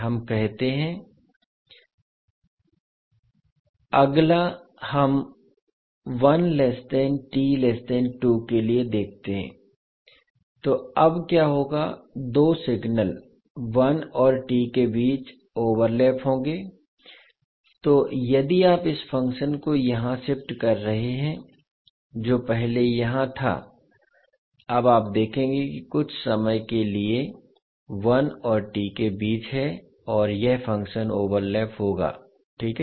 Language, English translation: Hindi, So what will happen now the two signals will overlap between one to t so if you are shifting this function which was earlier here further then you will see that for some time that is between one to t these function will overlap, right